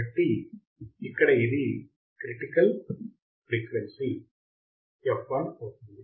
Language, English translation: Telugu, So, here the critical frequency would be f l